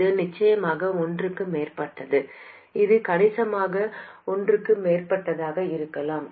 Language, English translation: Tamil, It is definitely more than one, it could be substantially more than one